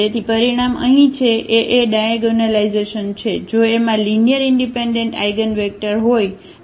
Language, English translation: Gujarati, So, the result is here A is diagonalizable, if A has n linearly independent eigenvector